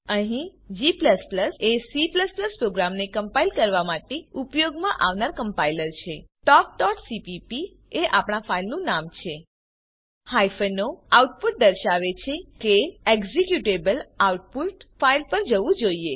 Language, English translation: Gujarati, Here g++ is the compiler used to compile C++ programs talk.cpp is our filename hyphen o output says that the executable should go to the file output